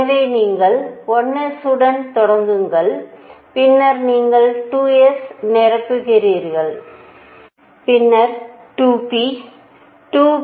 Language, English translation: Tamil, So, you start with 1 s, then you fill 2 s, then you fill 2 p